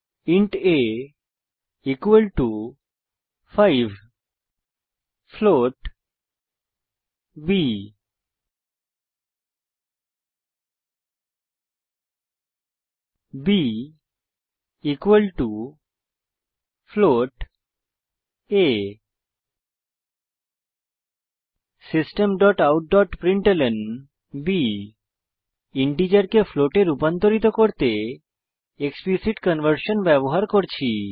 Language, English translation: Bengali, int a =5, float b, b = a System.out.println We are using Explicit conversion to convert integer to a float Save the file and Run it